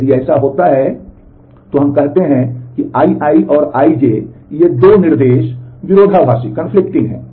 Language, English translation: Hindi, If that happens then we say that I i and I j these 2 instructions are conflicting